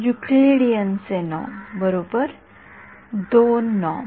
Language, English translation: Marathi, Euclidean norm; right, 2 norm